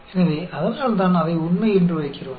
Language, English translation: Tamil, So, that is why we put it as true